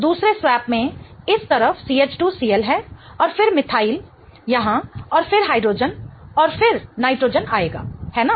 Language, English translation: Hindi, In the second swap I get CH2 CL on this side and then methyl will come here and then the hydrogen and then the nitrogen